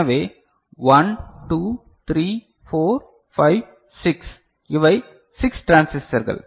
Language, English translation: Tamil, So, 1 2 3 4 5 6 so, these are the 6 transistors is it fine right